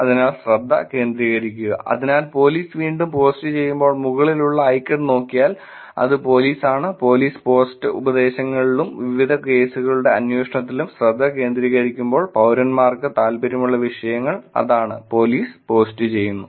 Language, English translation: Malayalam, So focus on, so when police post again if you look at icon on the top it is police, when the police post are focusing on advisories and the status of different cases being investigated and information that the citizens will be interested in, that is what police is posting about